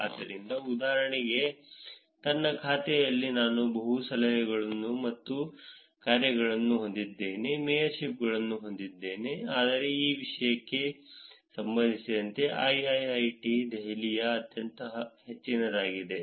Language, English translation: Kannada, So, for example, I have multiple tips and dones, mayorships in my account, but there is one which is very, very high which is IIIT Delhi for that matter